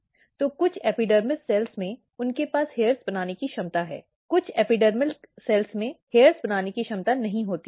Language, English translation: Hindi, So, some of the epidermal cells, they have capability to make the hairs; some of the epidermal cells they do not have capability to make the hairs